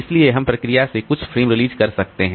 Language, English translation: Hindi, So, we can release some of the frames from the process